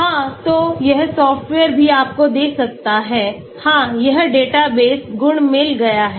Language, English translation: Hindi, Yeah so this software also can give you, yeah it has got databases, properties